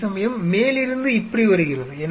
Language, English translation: Tamil, Whereas, from the top it is coming like this